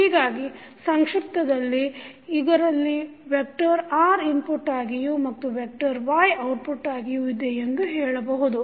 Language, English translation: Kannada, So, in short you can say that it has a vector R as an input and vector Y as an output